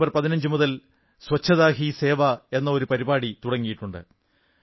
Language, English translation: Malayalam, A movement "Swachhta Hi Sewa" was launched on the 15thof September